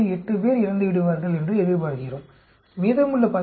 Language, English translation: Tamil, 8 to die, the remaining 10